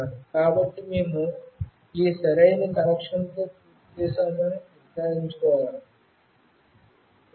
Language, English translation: Telugu, So, we need to make sure that we are done with this proper connection